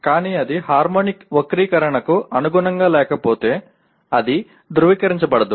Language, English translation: Telugu, But if it does not meet the harmonic distortion it will not be certified